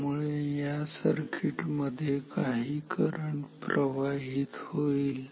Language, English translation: Marathi, Therefore, in this circuit some current will flow